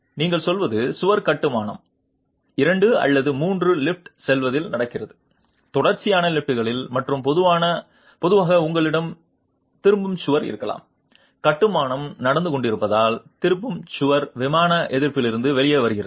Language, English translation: Tamil, What you are saying is the wall construction is happening in say two or three lifts, in series of lifts and typically you might have a return wall and the return wall provides out of plain resistance as the construction is underway